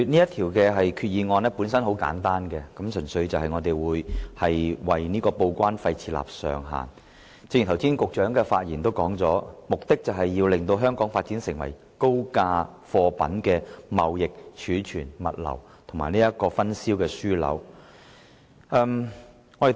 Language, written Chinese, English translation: Cantonese, 代理主席，其實政府動議這項決議案的目的十分簡單，純粹是就報關費設定上限，因為正如局長剛才在發言中指出，政府的策略目標是把香港發展為高價貨品的貿易、儲存、物流和分銷樞紐。, Deputy President the purpose of the Government in moving this resolution is so simple―just to set a cap on the import and export declaration TDEC charges . Just as the Secretary has pointed out in his speech just now it is the Governments strategic objective to develop Hong Kong into a trading storage logistics and distribution hub for high - value goods